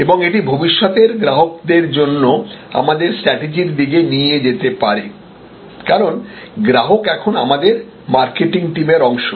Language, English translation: Bengali, And that can lead to our strategy for future customers, because the customer is now part of our marketing team